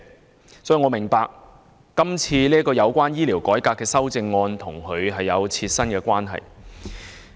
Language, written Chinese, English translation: Cantonese, 我當然明白今次這項有關"推動醫療改革"的修正案與其本人有切身關係。, I certainly understand that this amendment to the motion on promoting healthcare reform is of immediate concern to Mr SHIU himself